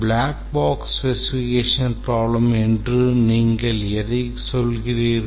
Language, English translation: Tamil, What do we mean by a black box specification of the problem